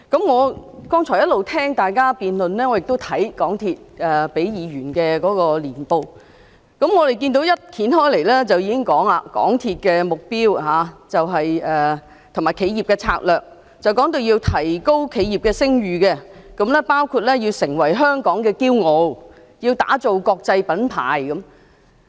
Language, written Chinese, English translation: Cantonese, 我剛才一直聆聽大家辯論，亦閱覽港鐵公司給議員的年報，當我翻開年報，便已經看到有關港鐵公司的目標及企業的策略，它要提高企業的聲譽，包括成為香港的驕傲，要打造國際品牌。, Just now I have been listening to Members debate and I have also read the annual report provided by MTRCL . When I leafed through the annual report I found its vision and corporate strategy . It seeks to enhance its corporate reputation become the pride of Hong Kong and build global brand